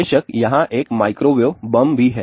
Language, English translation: Hindi, Of course, there is a microwave bomb also